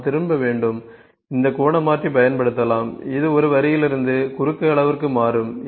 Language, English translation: Tamil, At this turn when we have to need to have turn we can use this angular converter it will convert from one line to the cross size